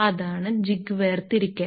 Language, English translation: Malayalam, So, jig separation